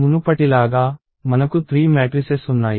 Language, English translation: Telugu, So, as before, we have three matrices